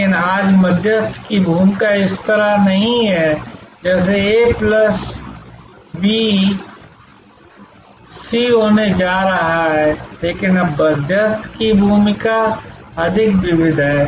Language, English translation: Hindi, But, today the role of the intermediary is not this kind of a plus b, going to c, but the role of the intermediary is now more varied